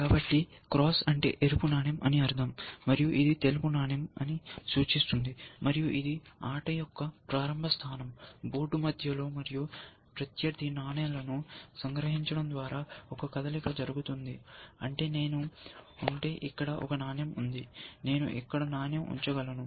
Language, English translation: Telugu, So, let say cross stands for red coin, and this stands for white coin, this is the initial position of the game, in the center of the board and a move, you a move is made by capturing opponent pieces, which means that, if I have a piece coin here, I can place the coin here